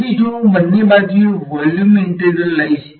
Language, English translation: Gujarati, So, if I take a volume integral on both sides